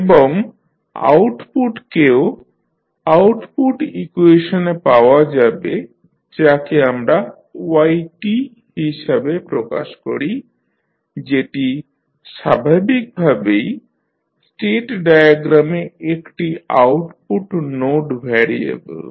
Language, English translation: Bengali, And then the output yt will also be identified in the output equation we will represent yt that is naturally an output node variable in the state diagram